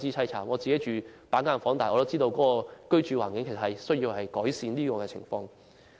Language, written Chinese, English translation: Cantonese, 雖然我自己住在板間房，但也明白改善居住環境的需要。, Although I myself live in a cubicle room I do understand the need for improving our living environment